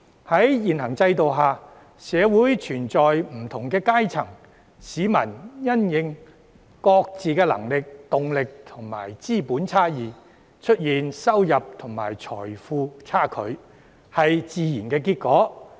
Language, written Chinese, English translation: Cantonese, "在現行制度下，社會存在不同階層，市民因應各自的能力、動力和資本差異，出現收入和財富差距是自然的結果。, Under the existing system marked by social stratification income and wealth disparity is a natural outcome due to differences in peoples ability motivation and assets